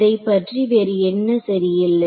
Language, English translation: Tamil, What else is not correct about it